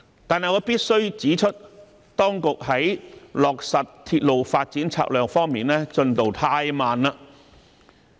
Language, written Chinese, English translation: Cantonese, 但是，我必須指出，當局在落實鐵路發展策略方面的進度太慢。, However I must point out that the progress made by the authorities in implementing the railway development strategy is far too slow